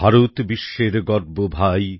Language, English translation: Bengali, India is the pride of the world brother,